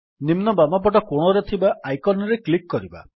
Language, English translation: Odia, Let us click the icon at the bottom left hand corner